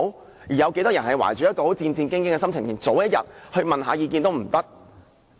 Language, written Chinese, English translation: Cantonese, 當中有多少人是懷着戰戰兢兢的心情，連早一天問意見也不可以。, How many of them are nervous as they cannot seek their legal advice the day before?